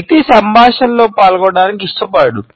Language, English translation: Telugu, The person does not want to get involved in the dialogue